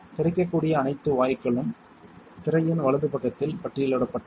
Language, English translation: Tamil, All the available gases are listed on the right side of the screen